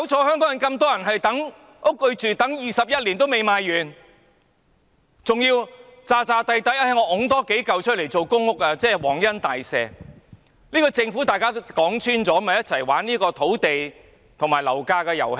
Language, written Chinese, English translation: Cantonese, 香港有這麼多人等候住屋，但土地21年仍未賣完，還要假裝多推出數幢大廈作為公屋，仿如皇恩大赦一樣，說穿了，這個政府是與大家一起"玩"土地和樓價的遊戲。, There are so many people waiting for a flat in Hong Kong but the land has not been sold out after 21 years . The Government has even pretended to construct a few more PRH buildings as if it is an act of kindness . To put it bluntly the Government is playing a game of land and property prices with all of us